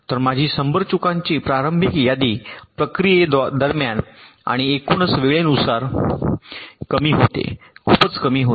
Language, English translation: Marathi, so my initial list of hundred faults quickly gets reduced during the process and my overall time becomes much less ok